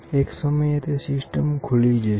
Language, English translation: Gujarati, At one point, this will open